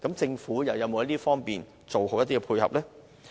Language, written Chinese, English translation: Cantonese, 政府有否在這方面做好配合？, Have the Government put in place any complementary measures?